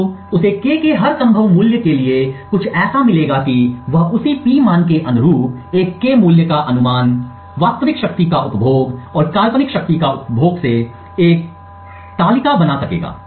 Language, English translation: Hindi, So, he would get something like this for every possible value of K he would be able to create a table like this corresponding to the same P value, a guessed K value, the real power consumed and the hypothetical power consumed